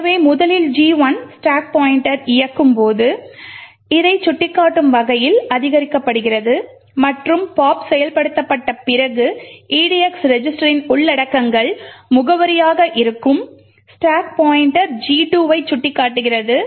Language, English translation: Tamil, So, first when gadget 1 executes the stack pointer is incremented to point to this and the contents of edx register would be address, after pop gets executed the stack pointer is pointing to G2